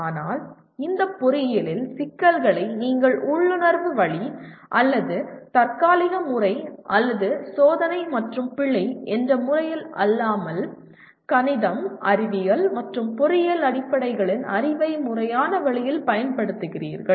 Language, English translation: Tamil, But you want to solve these engineering problems not in any what do you call intuitive way or ad hoc manner or by trial and error but applying the knowledge of the mathematics, science, and engineering fundamentals in a systematic manner